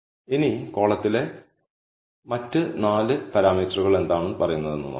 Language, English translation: Malayalam, Now, let us see what other 4 parameters in the column have to say